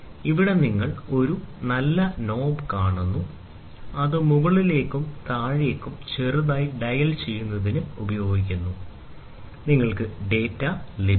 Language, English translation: Malayalam, And here you see a fine knob which is there, which is used for slightly dialing up and down, and you get the data